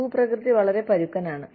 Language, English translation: Malayalam, The topography is very rugged